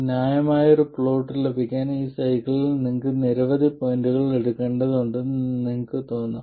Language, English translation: Malayalam, And you can feel that to get a reasonable plot, you have to take many points in this cycle